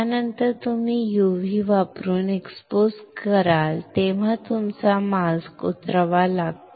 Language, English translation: Marathi, When you expose using UV after that you have to unload the mask